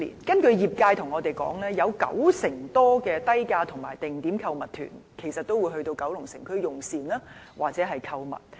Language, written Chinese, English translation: Cantonese, 根據業界反映，九成多低價和定點購物團會前往九龍城區用膳或購物。, According to the sector over 90 % of tour groups that charge low fares and have arranged shopping will go to Kowloon City for meals or shopping